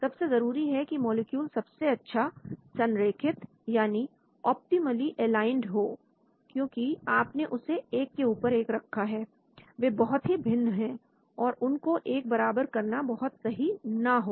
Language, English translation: Hindi, The molecules must be optimally aligned that is very important because you have placed one on top of another, they are very, very different, pleasing them may not be really practical